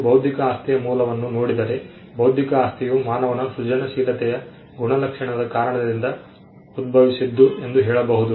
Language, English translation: Kannada, If you look at the origin of intellectual property, we will find that intellectual property can be attributed to human creativity itself